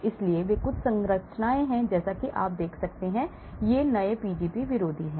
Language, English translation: Hindi, so these are some structures as you can see and these are new Pgp antagonists